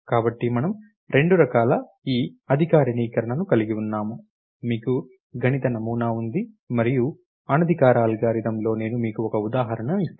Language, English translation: Telugu, So, what is it that we have two kind of formalize this, you have a mathematical model, and in informal algorithm, let me give you an example